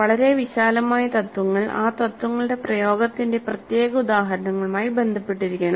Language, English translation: Malayalam, The very broad principles must be related to specific instances of the application of those principles